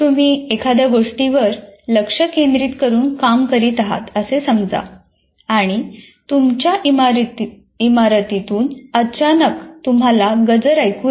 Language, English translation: Marathi, An example is you are working on something intently and you suddenly hear an alarm in the same building